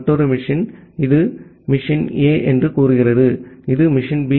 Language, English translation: Tamil, There is another machine say this is machine A, this is machine B